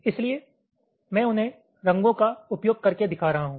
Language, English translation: Hindi, so i am showing them using colours